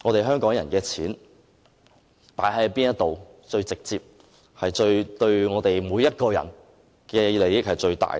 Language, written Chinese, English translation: Cantonese, 香港人的錢投放在哪裏是最直接，對每個人都有最大的利益呢？, What kind of Government spending is most directly beneficial to and in the best interests of each of us?